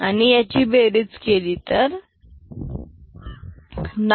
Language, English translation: Marathi, And then if you add them, this is 9